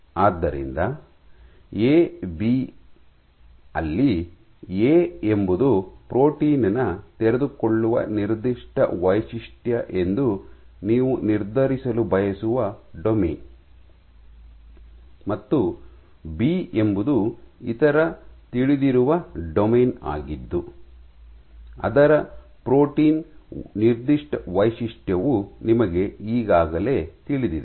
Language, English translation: Kannada, So, A B, so A is the domain whose unfolding signature you wish to determine, and B is a known domain of some other protein, whose protein signature you already know